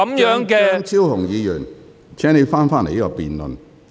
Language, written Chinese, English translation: Cantonese, 張超雄議員，請你返回辯論議題。, Dr Fernando CHEUNG please return to the subject of this debate